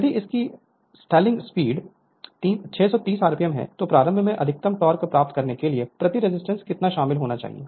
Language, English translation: Hindi, If its stalling speed is 630 rpm, how much resistance must be included per to obtain maximum torque at starting